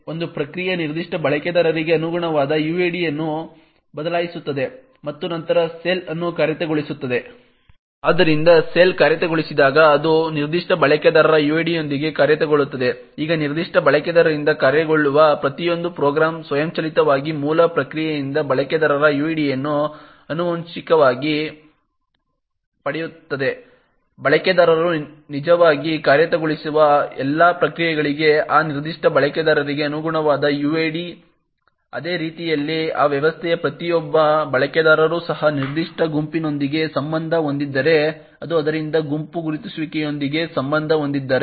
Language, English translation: Kannada, What we do is that we would setuid corresponding to the users identifier and then execute the bash shell, so what we see over here is that even though the login process executes with superuser privileges when it actually compare this and successfully authenticates the user, it forks a process, changes the uid corresponding to that particular user and then executes the shell, So therefore when the shell executes, it executes with the uid of that particular user, now every program that gets executed by that particular user would automatically inherit the user id from the parent process, the for all the processes that the user actually executes would have a uid corresponding to that particular user, in a very similar way each user of that system is also associated with a particular group and therefore associated with a group identifier